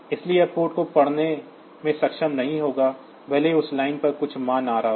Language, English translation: Hindi, So, it will not be able to read the port even if some value is coming on that line